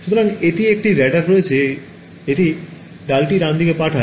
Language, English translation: Bengali, So, it has a radar it sends a pulse right